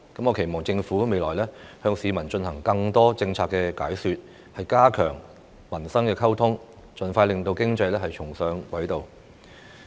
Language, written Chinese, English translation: Cantonese, 我期望政府未來會向市民進行更多政策解說，加強民生溝通，盡快令經濟重上軌道。, I hope the Government will explain its policies more to the general public in the future so as to strengthen communications with them and get the economy back on track as soon as possible